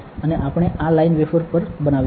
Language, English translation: Gujarati, And we will make these lines on the wafer